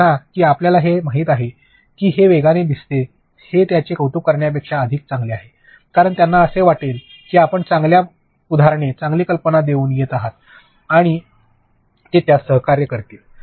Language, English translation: Marathi, And say that you know this looks fast they are more than appreciating because, they like this that you are coming with good examples, good ideas and they will just in cooperate it